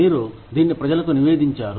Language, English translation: Telugu, You reported this to people